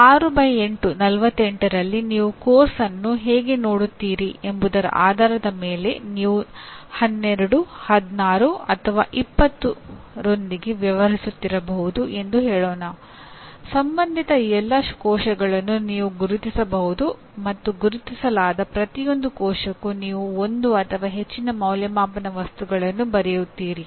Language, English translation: Kannada, So it could be let us say in 6 by 8, 48 you may be dealing with 12, 16, or 20 depending on how you look at the course; you can identify all the cells that are relevant and for each identified cell you write one or more assessment items, okay questions something like that